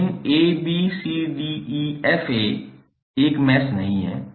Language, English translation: Hindi, But abcdefa is not a mesh